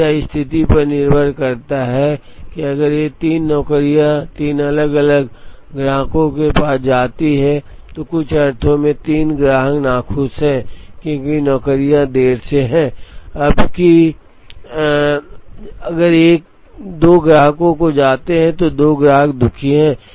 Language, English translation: Hindi, Now, it depends on the situation, if these 3 jobs go to 3 different customers, then in some sense 3 customers are unhappy, because the jobs are late, whereas if these goes to 2 customers then two customers are unhappy